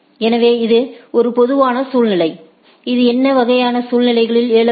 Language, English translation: Tamil, So, this is a typical situation which may arise in this sort of scenarios